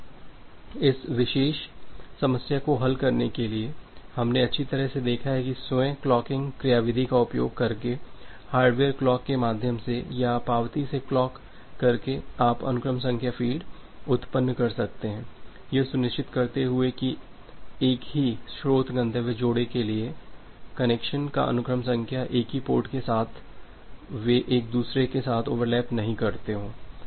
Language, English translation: Hindi, Now, to solve this particular problem we have seen that well, by utilizing this self clocking mechanism through the hardware clock or by clocking from the acknowledgement you can generate the sequence number fields ensuring that the sequence number of a connection for the same source destination pairs with the same port they do not overlap with each other